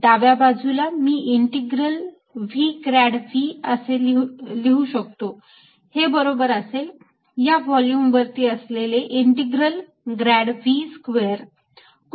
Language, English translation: Marathi, the left hand side i can write as integral v grad v dotted with surface is equal to integral grad v square over the volume